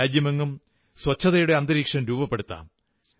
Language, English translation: Malayalam, Let's create an environment of cleanliness in the entire country